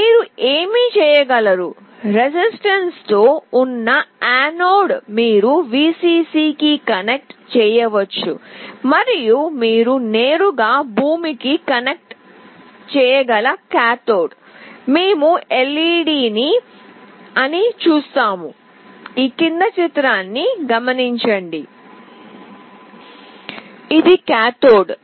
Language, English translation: Telugu, What you can do, the anode with a resistance you can connect to Vcc and the cathode you can directly connect to ground, and we see whether the LED glows or not